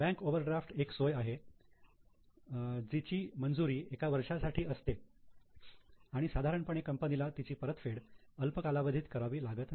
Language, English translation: Marathi, In case of bank overdraft, it is a facility which is sanctioned for one year and normally company may not have to repay it in a shorter period of time